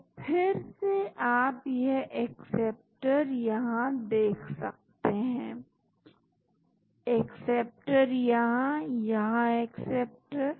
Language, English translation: Hindi, So, again you can see this acceptor here, acceptor here, acceptor here